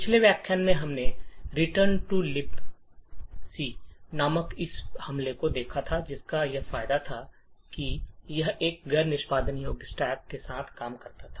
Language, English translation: Hindi, In the previous lecture we had looked at this attack call return to libc which had the advantage that it could work with a non executable stack